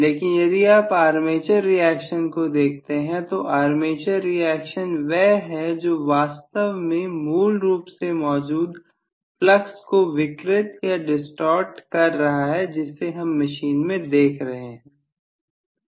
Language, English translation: Hindi, But if you look at the armature reaction, the armature reaction is what is actually distorted on the whole in the original flux that you had looked at the machine